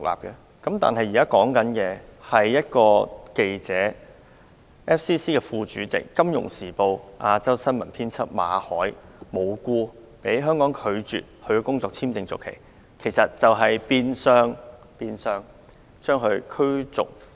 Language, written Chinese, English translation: Cantonese, 香港政府無故拒絕香港外國記者會第一副主席、《金融時報》亞洲新聞編輯馬凱的工作簽證續期申請，變相將他驅逐離港。, The Hong Kong Governments refusal to renew for no reason the work visa of Victor MALLET First Vice President of the Foreign Correspondents Club Hong Kong FCC and Asia news editor of the Financial Times is an expulsion in disguise